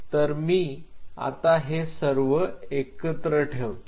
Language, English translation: Marathi, So, let me just put it together